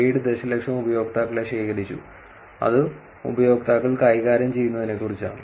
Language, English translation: Malayalam, 7 million users were collected which is about that users handles